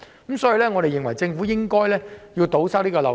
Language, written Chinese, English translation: Cantonese, 因此，我們認為政府應該堵塞這個漏洞。, Therefore we think that the Government should plug this loophole